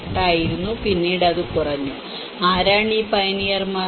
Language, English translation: Malayalam, 8 and then later it came down; and who are these pioneers